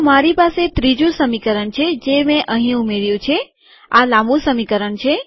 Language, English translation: Gujarati, So I have a third equation that I have added here, its a long equation